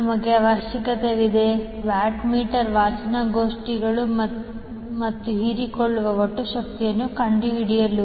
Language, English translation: Kannada, We need to find out the watt meter readings and the total power absorbed